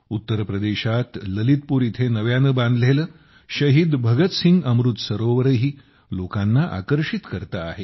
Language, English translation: Marathi, The newly constructed Shaheed Bhagat Singh Amrit Sarovar in Lalitpur, Uttar Pradesh is also drawing a lot of people